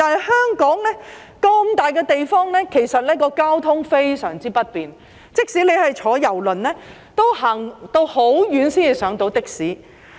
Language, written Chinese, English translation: Cantonese, 一個這麼大的碼頭，其實交通非常不便，即使是乘搭郵輪，也要走很遠才能乘搭的士。, The terminal is large but actually the transport is very inconvenient . Even if the passengers get off a cruise ship they still have to walk a long way to board a taxi